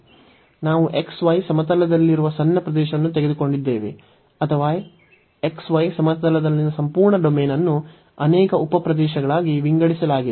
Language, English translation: Kannada, So, we have taken the small region in the x, y plane or the whole domain in the x, y plane was divided into many sub regions